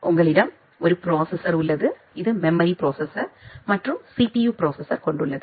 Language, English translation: Tamil, You have a processor, a general purpose processor which has a memory component and a CPU component